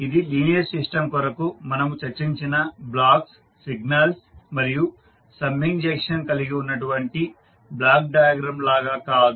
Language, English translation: Telugu, Unlike the block diagram which we discussed for the linear system which consist of blocks, signals and summing junctions